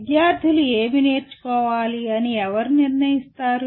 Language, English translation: Telugu, Who decides what is it that the students should learn